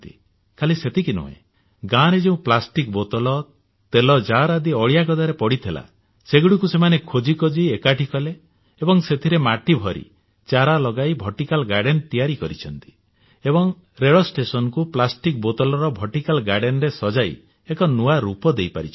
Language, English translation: Odia, What is more, they had searched for and collected the plastic bottles and oil cans lying in the garbage in the villages and by filling those with soil and planting saplings, they have transformed those pots into a vertical garden